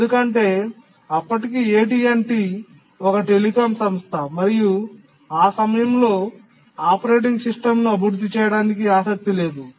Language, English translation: Telugu, Because AT&T was after all a telecom company and then that time, that point of time it didn't have interest in developing operating system